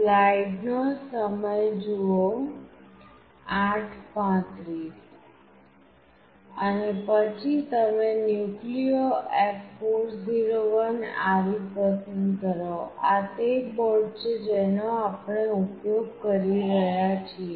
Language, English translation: Gujarati, And then you select NucleoF401RE; this is the board that we are using